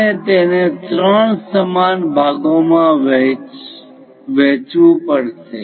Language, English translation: Gujarati, We have to divide that into three equal parts